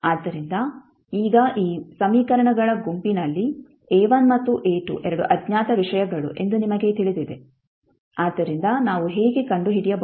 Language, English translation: Kannada, So, now in this particular set of current equations you know that the A1 and A2 are the 2 things which are unknown, so how we can find